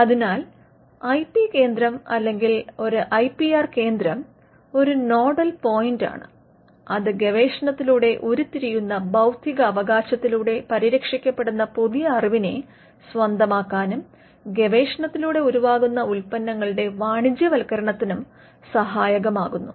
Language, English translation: Malayalam, So, the IP center or an IPR centre is a nodal point, which helps the university to capture the new knowledge that comes out of research and protected by way of intellectual property rights and helps in the commercialization of products that come out of research